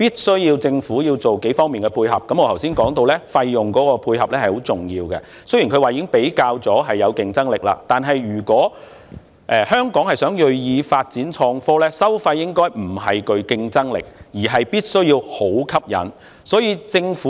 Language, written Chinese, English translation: Cantonese, 雖然政府表示，已經比較過本港與其他地區的收費，認為本港的收費具競爭力，但是香港若銳意發展創科，收費不但要具競爭力，還必須有吸引力。, Although the Government has indicated that it has compared the fees of Hong Kong with those in other places and considers the fees of Hong Kong competitive if we are to make a conscious effort to develop innovation and technology in Hong Kong our fees must not just be competitive but attractive as well